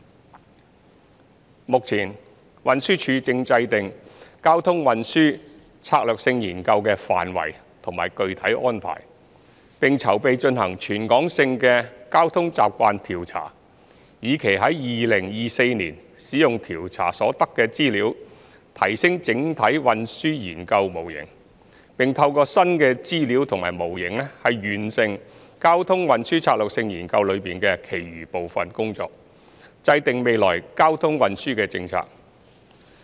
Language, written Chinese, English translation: Cantonese, 三目前，運輸署正制訂《交通運輸策略性研究》的範圍及具體安排，並籌備進行全港性的交通習慣調查，以期在2024年使用調查所得的資料提升整體運輸研究模型，並透過新的資料及模型完成《交通運輸策略性研究》中的其餘部分工作，制訂未來交通運輸政策。, 3 At present the Transport Department TD is formulating the scope and the detailed arrangements for the traffic and transport strategy study TTSS and is planning to conduct a travel characteristics survey in order to enhance CTS Model in 2024 based on the data collected from the survey; and makes use of the new information and models to complete the remaining sections of TTSS so as to formulate the blueprint on future traffic and transport policies